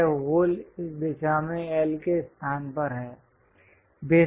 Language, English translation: Hindi, This hole is at a location of L in this direction